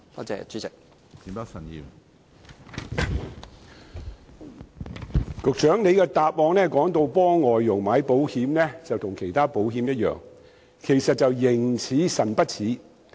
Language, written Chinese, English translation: Cantonese, 主席，局長的答覆表示，為外傭投購的保險與投購其他保險一樣，實際卻是"形似神不似"。, President the Secretary mentioned in his reply that the insurance policies taken out for FDHs are the same as other insurance policies but in fact they seem similar but not quite the same in reality